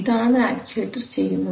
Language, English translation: Malayalam, So that is what is done by the actuator